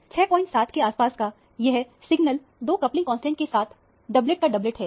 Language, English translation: Hindi, 7 is doublet of a doublet with two coupling constants